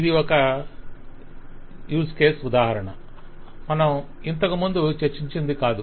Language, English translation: Telugu, So this is an use case example, not one which we have discussed earlier